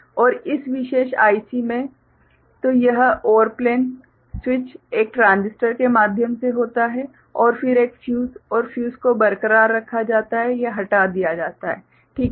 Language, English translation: Hindi, And in this particular IC so this OR plane the switch is through a transistor and then a fuse and the fuse is retained or removed, ok